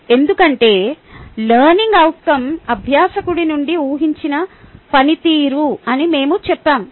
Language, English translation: Telugu, because we said learning outcome is the expected performance from the learner